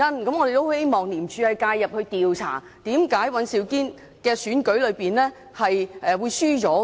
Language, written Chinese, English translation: Cantonese, 所以，我們希望廉政公署介入調查，為甚麼尹兆堅議員會在區議會選舉中落敗。, Hence we hope the Independent Commission Against Corruption ICAC will intervene and investigate why Mr Andrew WAN lost in the DC election